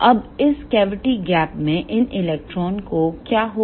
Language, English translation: Hindi, Now, what will happen to these electrons in this cavity gap